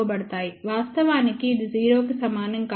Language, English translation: Telugu, In reality, it is not equal to 0